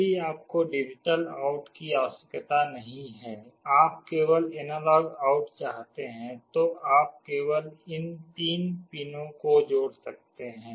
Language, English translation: Hindi, If you do not require the digital out you want only the analog out, then you can only connect these three pins